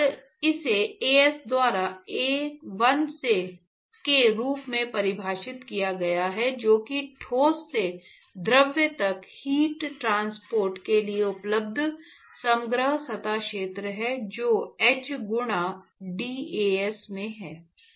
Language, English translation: Hindi, And that is defined as 1 by As, that is the overall surface area available for heat transport from the solid to the fluid into integral As into h times dAs